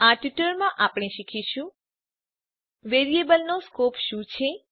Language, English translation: Gujarati, In this tutorial we will learn, What is the Scope of variable